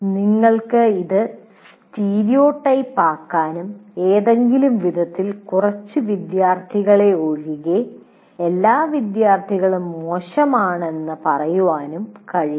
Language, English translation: Malayalam, You cannot make it stereotype and say, anyway, all students are bad, with the exception of a few students